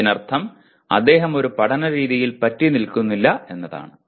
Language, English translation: Malayalam, That means he does not stick to one way of learning